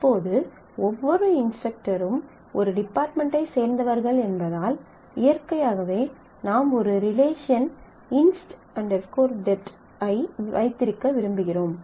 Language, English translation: Tamil, Now since every instructor belongs to a department, so naturally we might want to have a relation inst department which could give the instructor and his or her department name